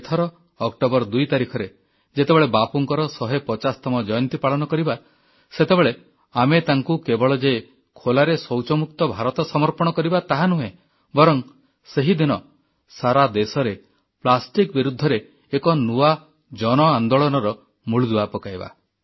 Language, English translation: Odia, This year, on the 2nd of October, when we celebrate Bapu's 150th birth anniversary, we shall not only dedicate to him an India that is Open Defecation Free, but also shall lay the foundation of a new revolution against plastic, by people themselves, throughout the country